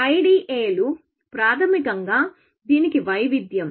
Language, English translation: Telugu, IDAs are basically variation of this